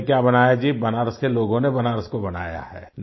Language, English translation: Hindi, The people of Banaras have made Banaras